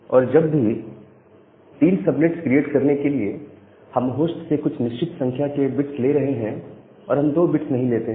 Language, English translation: Hindi, So, whenever we are taking certain number of bits from the host to create three subnet, we should not take 2 bits